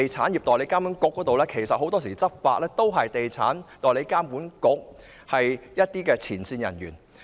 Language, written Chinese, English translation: Cantonese, 再以地監局為例，很多時執法者都是地監局的前線人員。, In the case of EAA again many law enforcement officers are frontline staff of EAA